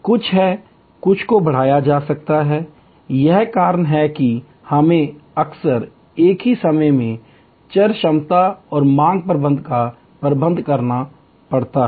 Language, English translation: Hindi, There are some, to some extend it can be done; that is why we have to often manage variable capacity and demand management at the same time